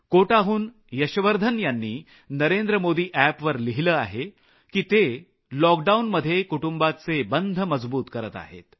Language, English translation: Marathi, Yashvardhan from Kota have written on the Namo app, that they are increasing family bonding during the lock down